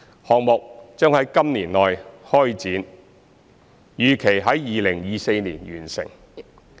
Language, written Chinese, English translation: Cantonese, 項目將於今年內開展，預期在2024年完成。, The project will commence within this year and is expected to be completed in 2024